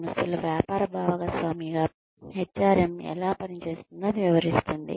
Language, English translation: Telugu, That describes, how HRM operates as a business partner within organizations